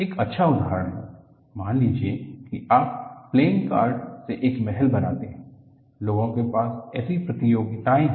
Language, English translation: Hindi, A good example is, suppose you make a castle out of the playing cards; people have such competitions